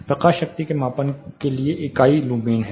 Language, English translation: Hindi, The unit for measurement of light power is lumens